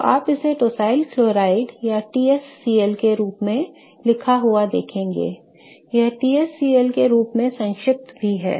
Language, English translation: Hindi, So, you will see it being written as tarsyl chloride or even T s cl, okay